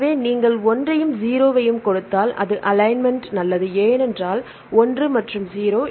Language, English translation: Tamil, So, if you give just one and 0 is it fine for the alignment, because 1 and 0